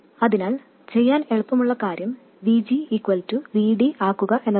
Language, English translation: Malayalam, So, the easiest thing to do is to make VG equals VD